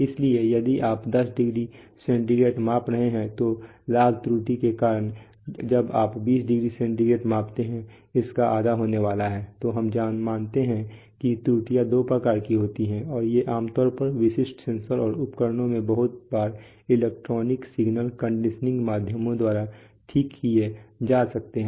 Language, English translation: Hindi, So, if you have, if you are measuring 10 degree centigrade then the error due to gain error is going to be half of what you measure due to 20, when you measure 20 degree centigrade so we assume that the errors are of two kinds and these typically in typical sensors and instruments very often they can be corrected by electronic signal conditioning means